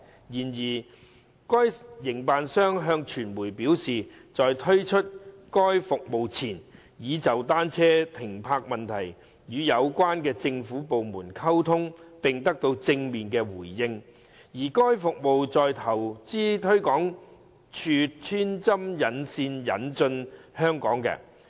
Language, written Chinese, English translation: Cantonese, 然而，該營辦商向傳媒表示，在推出該服務前，已就單車停泊問題與有關的政府部門溝通並得到正面回應，而該服務是由投資推廣署穿針引線引進香港的。, However the operator told the media that before launching the service it had communicated with the government departments concerned on bicycle parking issues and had received positive responses and that the service was introduced into Hong Kong through the liaison of Invest Hong Kong which acted as a go - between